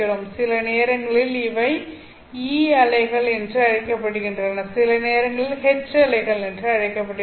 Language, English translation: Tamil, Sometimes these are called as E waves, sometimes they are called as H waves